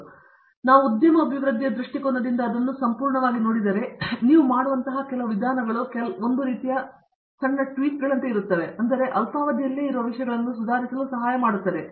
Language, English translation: Kannada, Otherwise, if we look at it purely from industry development perspective, you can the kind of approaches that even make are only like a sort of small tweaks that will help improve things that will be at a short term